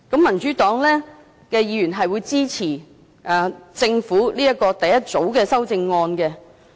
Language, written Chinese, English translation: Cantonese, 民主黨議員會支持政府第一組修正案。, Members of the Democratic Party will support the Governments first group of amendments